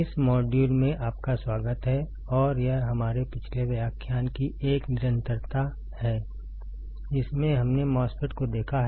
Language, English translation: Hindi, Welcome; to this module and this is a continuation of our last lecture in which we have seen the MOSFET